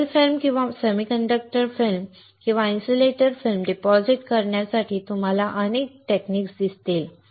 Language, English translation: Marathi, You will see there are several techniques to deposit a metal film or a semiconductor film or insulating film